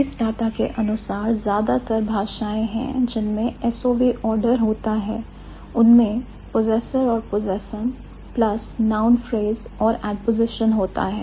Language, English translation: Hindi, The data says most languages that have S O V order also have possessor and possessum plus noun phrase and ad position